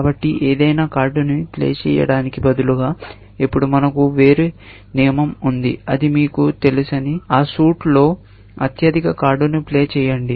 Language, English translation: Telugu, So, instead of playing any card, now, I have a different rule, which says that you know, in that suit, play the highest card